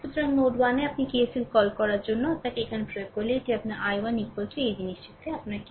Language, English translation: Bengali, So, at node 1 if you apply you what to call KCL here it is your i 1 is equal to your what to ah this thing